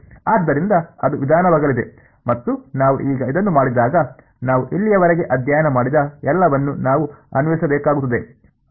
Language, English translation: Kannada, So, that is going to be the approach and we will now when we do this, we will have to apply everything that we have learned so far ok